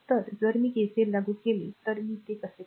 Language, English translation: Marathi, So, if you apply KCL look how how you will do it